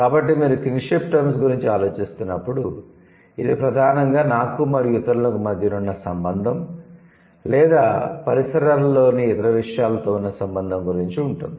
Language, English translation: Telugu, So, when you are thinking about kinship terms, so in the in the kinship terms it's primarily related to me and others like your relationship with the other people or your relationship with people or with other things in the surrounding